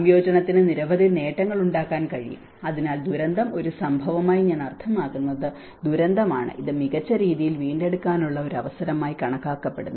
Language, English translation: Malayalam, Integration can produce several benefits, so disaster looks I mean disaster as an event, it is considered an opportunity to build back better